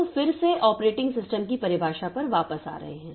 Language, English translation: Hindi, So, this way we can get different definitions of operating systems